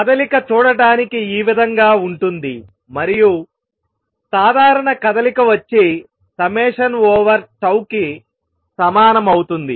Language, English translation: Telugu, This is how is motion looks and the general motion is equal to summation over tau of this